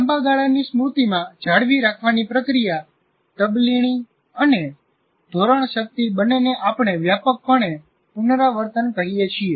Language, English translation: Gujarati, Now we talk about the process of retaining in the long term memory, both transfer as well as retention, what we broadly call rehearsal